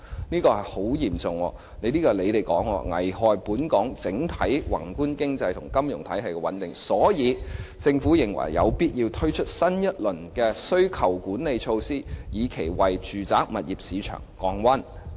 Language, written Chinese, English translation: Cantonese, 這是很嚴重的，按政府的說法，有關情況會"危害本港整體宏觀經濟及金融體系穩定"，所以有必要推出新一輪的需求管理措施，以期為住宅物業市場降溫。, The consequence would be very serious as in the words of the Government it would endanger the overall stability of the macroeconomic and financial system in Hong Kong . Hence it was necessary to launch a new round of demand - side management measure in the hope of cooling down the residential property market